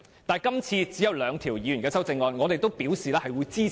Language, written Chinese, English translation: Cantonese, 但是，今次只有兩項議員修正案，而我們亦已表示支持。, This time only two amendments have been proposed by Members and they both receive our support